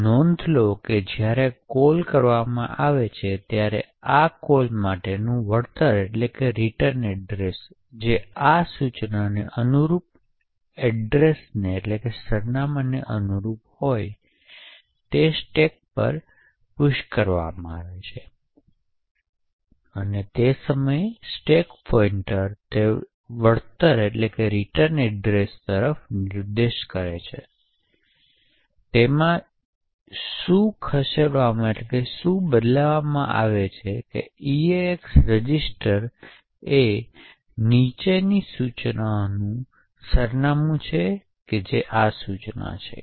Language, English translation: Gujarati, So, note that when a call is done the return address for this call that is corresponding to the address corresponding to this instruction is pushed onto the stack and at that time the stack pointer is pointing to that return address, therefore what is moved into the EAX register is the address of the following instruction that is this instruction